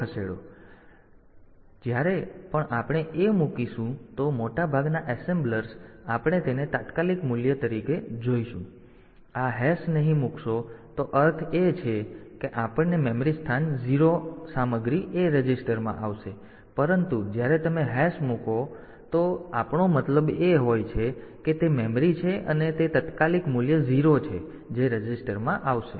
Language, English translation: Gujarati, So, most of the assemblers we will take it as immediate value, if you do not put this hash then the meaning is we will get the memory location 0 content will come to the A register, but when you put this hash